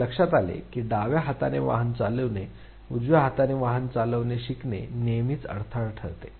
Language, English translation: Marathi, And it has been realized that the left hand driving, it always the hindrance the learning of driving using the right hand